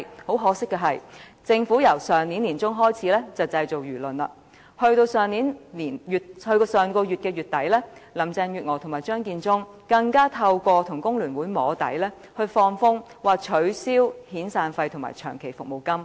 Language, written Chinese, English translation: Cantonese, 很可借，政府由上年年中開始製造輿論，到了上月底，林鄭月娥和張建宗更透過與工聯會"摸底"，放風要取消遣散費和長期服務金。, Unfortunately the Government has been creating public opinion since the middle of last year . Then at the end of last month Carrie LAM and Matthew CHEUNG hinted that severance payment and long service payment might be abolished after testing the water with the Hong Kong Federation of Trade Unions